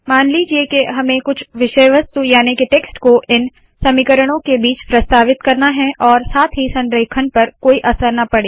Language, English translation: Hindi, Suppose we want to introduce some text in between the equations without upsetting the alignment